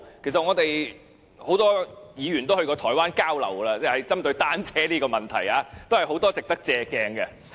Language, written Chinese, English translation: Cantonese, 其實，我們很多議員都曾到台灣交流，針對單車這個問題，有很多值得借鑒的地方。, Indeed many Honourable colleagues have been to Taiwan for exchange visits . As regards the issue of bicycles there are a lot of aspects we can learn from Taipei